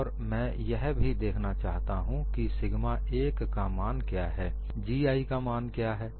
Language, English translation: Hindi, And we also look at what is the value of sigma 1 what is the value of G 1, and the graph is like this